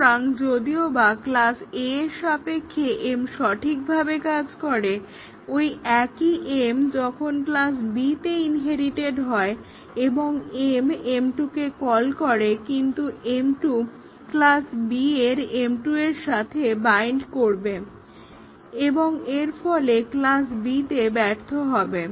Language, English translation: Bengali, So even though m worked correctly in the context of class A the same m when inherited in class B and m is calling m 2, but m 2 will bind to the m 2 in the class B and therefore, m can fail in class B